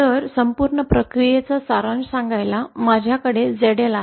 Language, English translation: Marathi, So just to summarize the whole process, I have a ZL